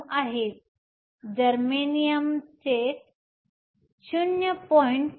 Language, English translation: Marathi, 09, germanium which is around 0